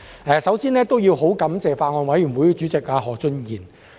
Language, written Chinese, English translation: Cantonese, 我首先感謝法案委員會主席何俊賢議員。, First of all I thank Mr Steven HO Chairman of the Bills Committee on the Sale of Goods Bill